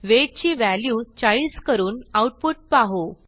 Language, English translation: Marathi, Let us change the weight to 40 and see the output